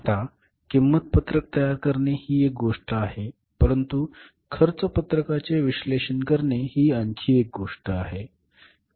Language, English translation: Marathi, Now, preparation of the cost sheet is one thing but analyzing the cost sheet is other thing